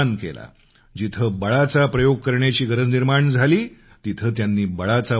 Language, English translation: Marathi, Wherever the use of force was imperative, he did not hesitate